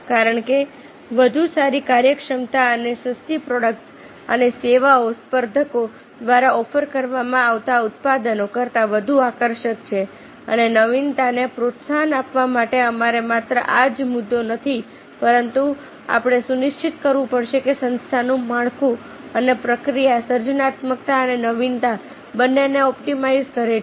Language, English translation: Gujarati, and because better efficiency and cheaper products and services are more attractive than those offered by the competitors and to foster innovation, we you have to not only this is the issue, but we have to ensure that the organization structure and process optimize both creativity and innovation